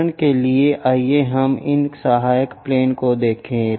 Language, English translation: Hindi, For example, let us look at this auxiliary planes